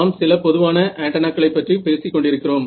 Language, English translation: Tamil, So, let us look at some typical antennas ok